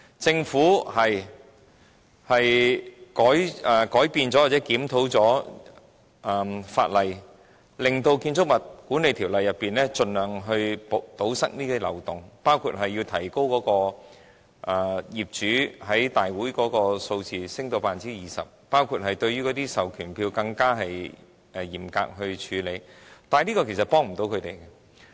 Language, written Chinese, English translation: Cantonese, 政府的確曾修改或檢討法例，透過《建築物管理條例》來盡量堵塞這些漏洞，包括提高業主佔業主大會的比例至 20%， 以及更嚴格處理授權書，但這些安排其實無法幫助他們。, It is true that the Government has amended or reviewed the relevant legislation and tried to plug the loopholes by means of amendments to the Building Management Ordinance which include raising the percentage of property owners attending the general meeting of an owners corporation OC to 20 % and imposing more stringent procedures in handling proxy forms . However these arrangements cannot help property owners